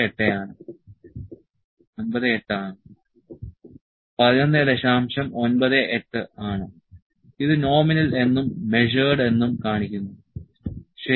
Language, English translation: Malayalam, 98, it is showing the nominal and measured, ok